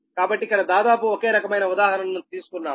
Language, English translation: Telugu, so here just taken almost similar type of example